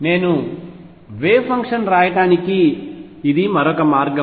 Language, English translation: Telugu, This is another way I can write the wave function